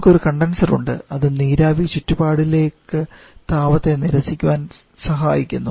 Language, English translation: Malayalam, We have a condenser where the vapour is going to reject the heat to the surrounding